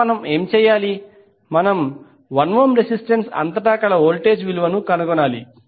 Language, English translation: Telugu, Now, what we have to do, we need to find out the voltage across 1 ohm resistance